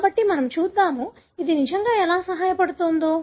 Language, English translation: Telugu, Let us see how do you really do that